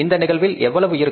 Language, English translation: Tamil, That amount will be how much